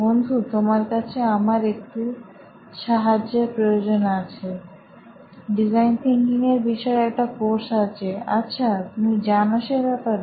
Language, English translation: Bengali, Hey, I need a favour, dude, there is this course called design thinking, you know of that